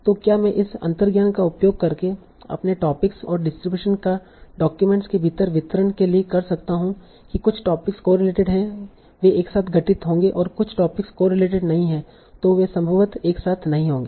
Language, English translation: Hindi, So can I use this intuition to better learn my topics and distributions within the documents that certain topics are correlated they will occur together, certain topics are not correlated, they will probably not occur together